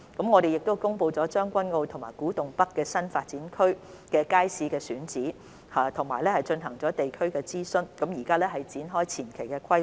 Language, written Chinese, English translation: Cantonese, 我們亦公布了將軍澳及古洞北新發展區新街市的選址，並進行了地區諮詢，現正展開前期規劃。, In addition we have announced the sites for the new public markets in Tseung Kwan O and Kwu Tung North New Development Area for which local consultations have been conducted . The preliminary planning is now under way